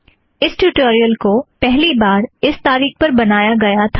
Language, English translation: Hindi, This is the date on which this tutorial was created the first time